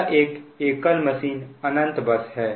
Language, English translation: Hindi, it is single machine, infinite bus